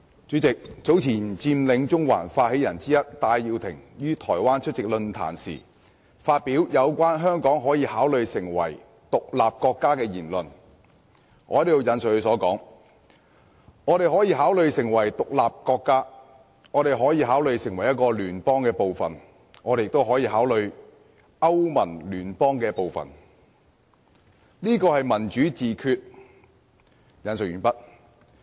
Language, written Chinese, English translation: Cantonese, 主席，早前佔領中環發起人之一的戴耀廷於台灣出席論壇時，發表有關香港可以考慮成為獨立國家的言論，"我們可以考慮成為獨立國家，我們可以考慮成為一個聯邦的部分，我們也可以考慮好像歐盟那種聯邦，這就是民主自決。, President Benny TAI one of the initiators of the Occupy Central movement made remarks at a forum in Taiwan about Hong Kong considering becoming an independent state . I quote We may consider becoming an independent state . We may consider becoming part of a federation